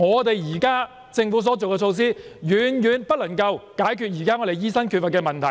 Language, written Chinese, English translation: Cantonese, 即是說，政府現時所推行的措施遠遠未能解決目前醫生不足的問題。, In other words the measures implemented by the Government are far from adequate to address the existing shortage of doctors